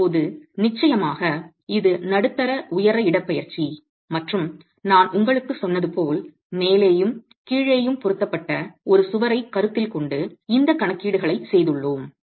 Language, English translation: Tamil, Now, of course, this is mid height displacement and as I told you we have made these calculations considering a wall that is pinned at the top and the bottom